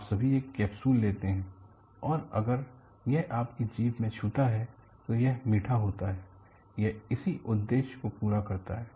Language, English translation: Hindi, You all take a capsule, and capsule if it touches your tongue, it is sweet; it serves one such purpose